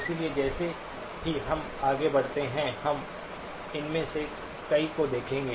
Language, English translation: Hindi, So again as we go through, we will look at several of these